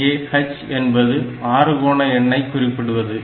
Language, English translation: Tamil, So, that means, I am talking about a hexadecimal number